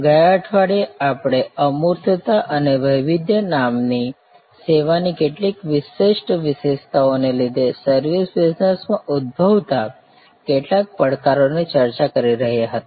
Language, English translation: Gujarati, Last week, we were discussing some challenges that arise in the service business due to some unique characteristics of service namely intangibility and heterogeneity